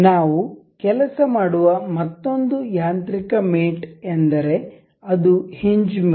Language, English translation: Kannada, Another mechanical mate we will work on is hinge mate